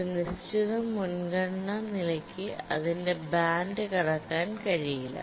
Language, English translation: Malayalam, And also a task at a certain priority level cannot cross its band